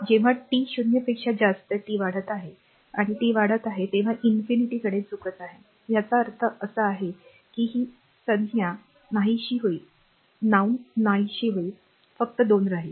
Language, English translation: Marathi, When here when t is your increasing like t greater than 0 and t is increasing say t tends to infinity right so; that means, this term will vanish only 2 will be there